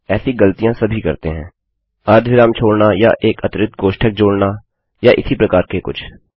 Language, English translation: Hindi, Everyone makes such mistakes missing either a semicolon or adding an extra bracket or something like that